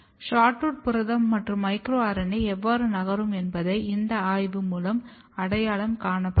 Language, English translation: Tamil, But the mechanism, how SHORTROOT protein is moving, how micro RNA is moving